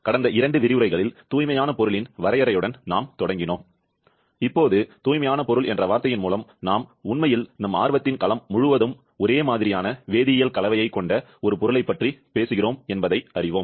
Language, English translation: Tamil, Over last 2 lectures, we started with the definition of pure substance where by now, we know that here by the term pure substance, we are actually talking about a substance which is having uniform chemical composition throughout the domain of our interest